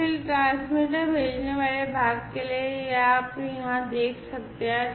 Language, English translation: Hindi, So, for the transmitter sending part, you know, this is as you can see over here